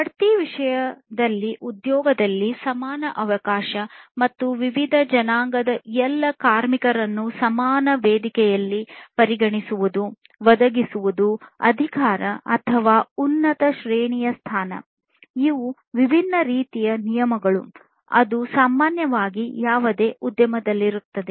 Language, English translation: Kannada, Equal opportunity in employment in terms of promotion and consideration of all workers from different ethnicity in the equal platform, provisioning of authority or higher ranking position; so, these are different types of classes of regulations that are typically there in any industry